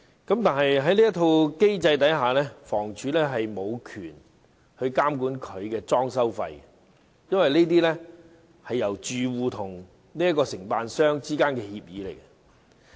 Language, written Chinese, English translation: Cantonese, 然而，在此機制之下，房委會無權監管裝修費，因為這是住戶與承辦商之間的協議。, Nevertheless under the mechanism HA has no authority to monitor the decoration fees because they are to be agreed between residents and DCs